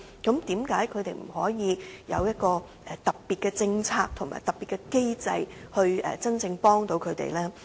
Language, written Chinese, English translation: Cantonese, 那麼，為何政府不能為他們實施特別的政策和機制，真正幫助他們呢？, In that case why should the Government refuse to implement a special policy and mechanism for them as a means of truly helping them?